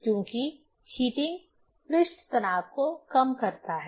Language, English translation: Hindi, Because the heating reduces the surface tension